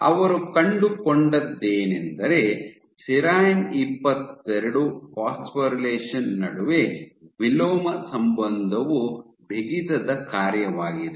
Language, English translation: Kannada, And what they found, that there was an inverse relationship between phosphorylation of serine 22 as a function of stiffness